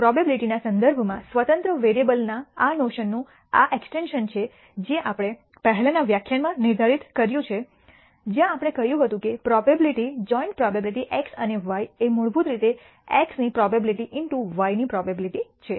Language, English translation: Gujarati, This is the extension of this notion of independent variables in terms of probability we defined in the previous lecture where we said the probability joint probability of x and y is basically probability of x into probability of y